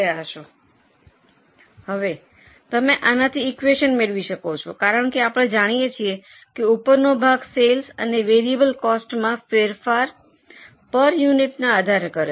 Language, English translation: Gujarati, Now you can get further equations from this because we know that the upper portion that is comparison of sales and variable costs changes on per unit basis